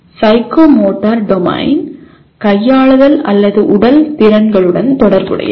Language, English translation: Tamil, The psychomotor domain involves with manipulative or physical skills